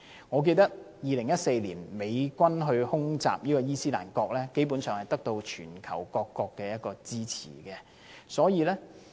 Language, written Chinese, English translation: Cantonese, 我記得2014年美軍空襲伊斯蘭國，基本上得到全球各國支持。, I remember that when the United States Armed Forces conducted air strikes against ISIS in 2014 they basically obtained the support of the whole world